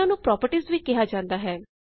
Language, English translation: Punjabi, These are also called properties